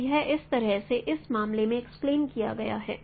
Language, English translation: Hindi, So, so this is this is how this is explained in this case